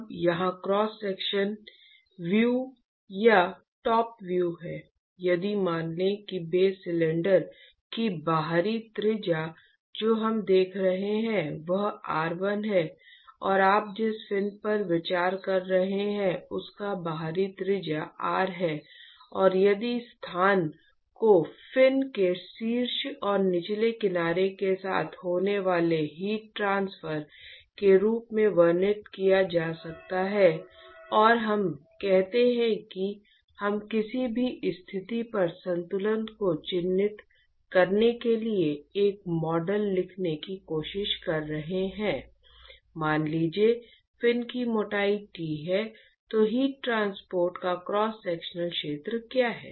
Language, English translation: Hindi, Now, here is the cross sectional view or top view if supposing if the outer radius of the base cylinder that we are looking at that is r1 and let us say the outer radius of the fin that you are considering is, let us say, capital R and if the location can be described as heat transfer occurring along the top and the bottom edge of the of the fin and let us say that we are trying to write a model to characterize the balance at any position R, supposing if the thickness of the fin is T then what is the cross sectional area of heat transport